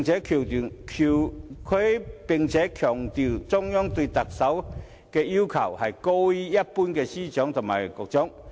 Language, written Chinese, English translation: Cantonese, 他又強調，中央對特首的要求高於一般司長和局長。, He also stressed that the Central Authorities had higher expectation of the Chief Executive than other directors and secretaries